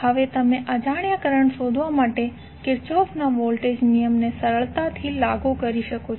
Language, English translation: Gujarati, Now you can simply apply the Kirchhoff's voltage law to find the unknown currents